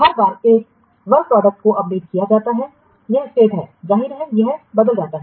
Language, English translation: Hindi, Each time a work product is updated, its state obviously it changes